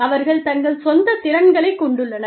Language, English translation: Tamil, They have their own, individual capabilities